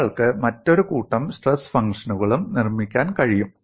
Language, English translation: Malayalam, And you can also construct another set of stress functions